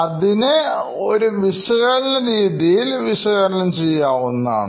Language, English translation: Malayalam, You can be analytical about this